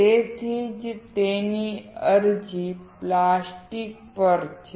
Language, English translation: Gujarati, That is why its application is on plastic